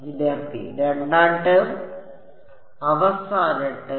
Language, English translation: Malayalam, Second term The last term